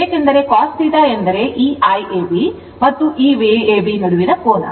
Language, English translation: Kannada, Because, cos theta means angle between your this I ab and this your V ab